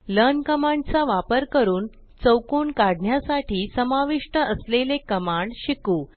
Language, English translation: Marathi, Now lets learn the commands involved to draw a square, using the learn command